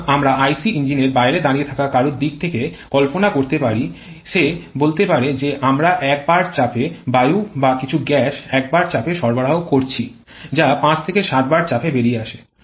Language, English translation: Bengali, So, we can visualize from outside someone who is standing outside IC engine he or she may say that we are supplying air at a pressure of 1 bar or some gas at a pressure of 1 bar that is coming out of the pressure of 5 to 7 bar